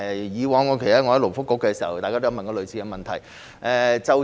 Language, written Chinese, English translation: Cantonese, 以往我在勞工及福利局工作時，大家也曾提出類似問題。, In the past when I worked with the Labour and Welfare Bureau similar questions were likewise raised